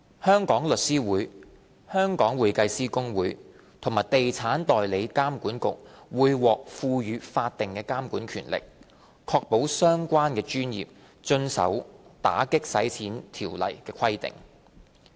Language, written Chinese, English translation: Cantonese, 香港律師會、香港會計師公會和地產代理監管局會獲賦予法定監察權力，確保相關專業遵守《條例》的規定。, The Law Society of Hong Kong the Hong Kong Institute of Certified Public Accountants and the Estate Agents Authority will be entrusted with statutory supervisory oversight in order to ensure compliance with the AMLO requirements by the relevant professions